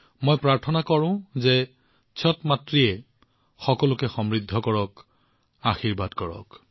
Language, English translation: Assamese, I pray that Chhath Maiya bless everyone with prosperity and well being